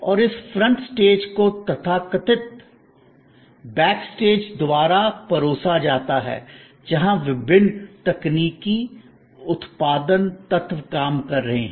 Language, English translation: Hindi, And that front stage is served by the so called back stage, where the different technical production elements are operating